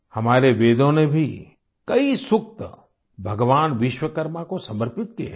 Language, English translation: Hindi, Our Vedas have also dedicated many sookta to Bhagwan Vishwakarma